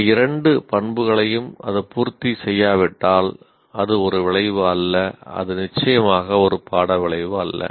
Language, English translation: Tamil, If it is not, if it doesn't satisfy these two properties, it is not an outcome, it is certainly not a course outcome